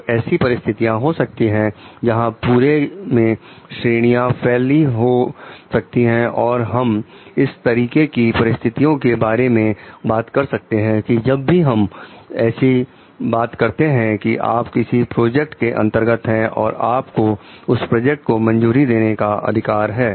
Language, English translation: Hindi, So, there will be like situations of like grades spread all over and like we can talk of these situations whenever we are talking of maybe you are into a project and you are the sanctioning authority